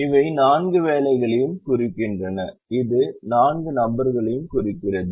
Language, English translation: Tamil, so these represent the four jobs and this represents the four people